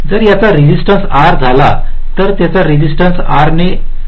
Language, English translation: Marathi, if the resistance of this was r, this resistance will become r by two right